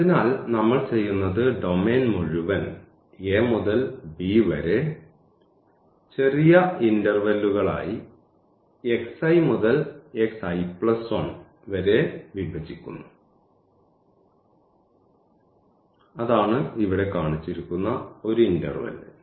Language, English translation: Malayalam, And so, what we do we divide the whole domain from a to b into small pieces of intervals from x i to x i plus 1 that is the one interval shown here